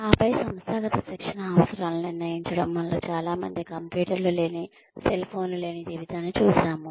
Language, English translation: Telugu, And then, determining organizational training needs, many of us have seen a life without computers, without cell phones